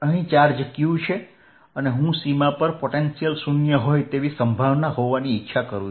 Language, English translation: Gujarati, here is the charge q, and i want potential of the boundary to be zero